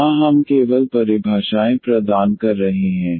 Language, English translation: Hindi, Here we are just providing the definitions